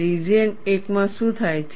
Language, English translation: Gujarati, What happens in region 1